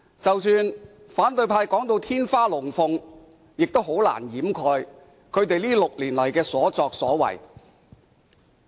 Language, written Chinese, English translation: Cantonese, 即使反對派說得"天花龍鳳"，亦難以掩飾他們6年來的所作所為。, Even if opposition Members made exaggerated account they can hardly over up what they have done over the past six years